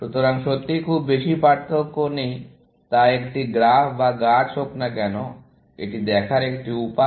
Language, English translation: Bengali, So, there is not really, too much of difference, whether it is a graph or tree; just a way of looking at it